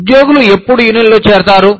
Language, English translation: Telugu, When do employees, join unions